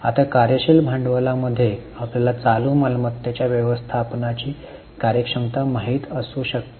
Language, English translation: Marathi, Now, within working capital you can know the efficiency in management of each of the current assets